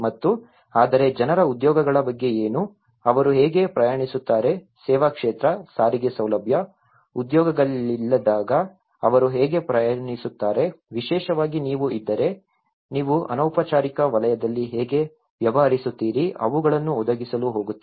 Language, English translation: Kannada, And but what about the jobs of the people, how do they travel, how do they commute when there is no service sector, the transportation facility, there has no jobs, if you are especially, you are dealing with the informal sector how you are going to provide them